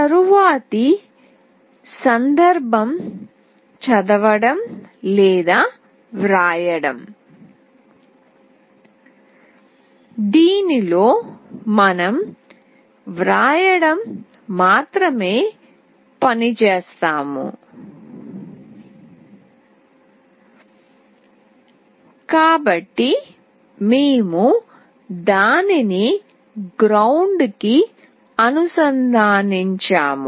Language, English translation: Telugu, The next is read/write, in this case we are only writing and so we have connected that to ground